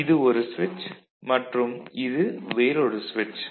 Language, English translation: Tamil, This is one switch and this is another switch right